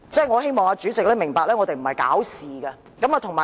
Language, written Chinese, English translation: Cantonese, 我希望主席明白，我們不是想搞事。, I hope the President can understand that we do not want to create trouble